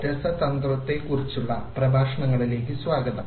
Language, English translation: Malayalam, Welcome to the lectures on chemistry